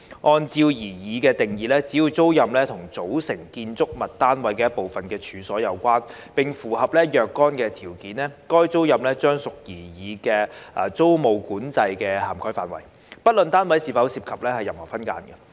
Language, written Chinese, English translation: Cantonese, 按照擬議的定義，只要租賃與"組成建築物單位一部分的處所"有關，並符合若干條件，該租賃將屬擬議租務管制的涵蓋範圍，不論單位是否涉及任何分間。, Under the proposed definition so long as a tenancy is in relation to the premises which form part of a unit of the building and satisfies certain conditions the tenancy would fall within the scope of the proposed tenancy control irrespective of whether any subdivision is involved